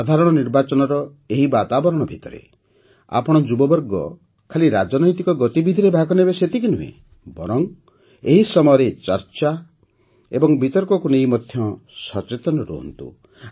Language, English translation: Odia, Amidst this hustle and bustle of the general elections, you, the youth, should not only be a part of political activities but also remain aware of the discussions and debates during this period